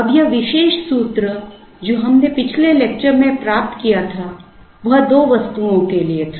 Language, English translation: Hindi, Now, this particular formula that we derived in the earlier lecture was for two items